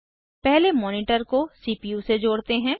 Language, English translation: Hindi, First, lets connect the monitor to the CPU